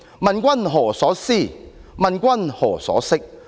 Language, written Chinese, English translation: Cantonese, 問君何所思，問君何所識。, My lord what is in your mind? . My lord what is in your head?